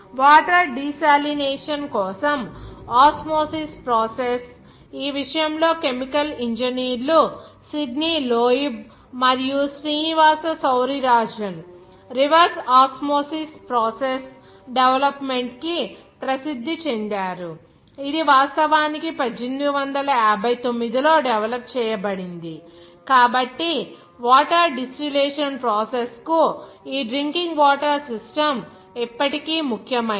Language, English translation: Telugu, Osmosis process for the water desalination, in this regard, those chemical engineers Sidney Loeb and the Srinivasa Sourirajan, are famous for the development of Reverse Osmosis process which was actually developed in 1959, So, this process is still important for the water distillation process for our drinking water system